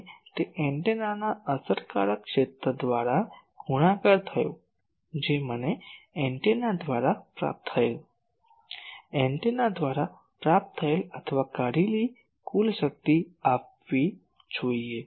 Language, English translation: Gujarati, Now, that multiplied by effective area of the antenna that should give me the total power received by the antenna, received or extracted by the antenna